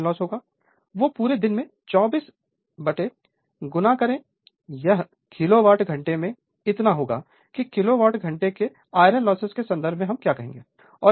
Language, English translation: Hindi, Whatever iron loss will be there, multiply by 24 throughout the day this much of kilowatt hour your what you call in terms of kilowatt hour iron loss we will get